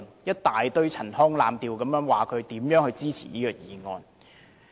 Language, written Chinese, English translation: Cantonese, 一大堆陳腔濫調說自己如何支持這項議案。, With a litany of platitude he described how strongly he supported this motion